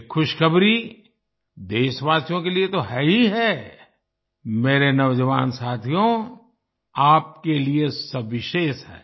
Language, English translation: Hindi, This good news is not only for the countrymen, but it is special for you, my young friends